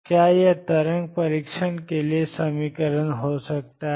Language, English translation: Hindi, Can this be the equation for the waves test